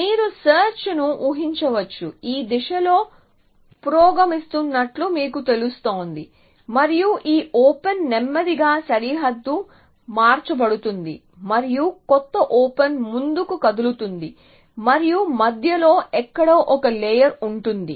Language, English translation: Telugu, So, you can imagine the search you know progressing in this direction and this open will slowly get converted into a boundary and the new open will move forward and also 1 layer somewhere in between